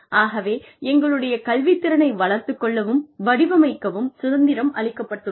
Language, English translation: Tamil, So, we are given the freedom to develop, and design our own curricula